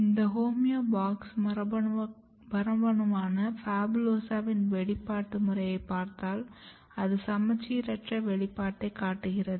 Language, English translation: Tamil, So, if you look the expression pattern of this box homeobox gene PHABULOSA, so you can clearly see this is very symmetrical asymmetrically expressed or localized